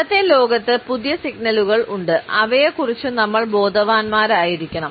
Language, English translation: Malayalam, In today’s world and that there are new signals that, we have to be conscious of